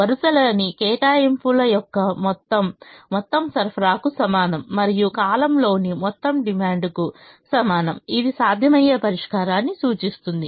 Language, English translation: Telugu, the row sum sum of the allocations in the row is equal to the supply and sum in the column is equal to the demand represents a feasible solution